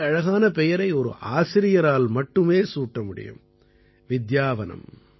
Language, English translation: Tamil, Now only a teacher can come up with such a beautiful name 'Vidyavanam'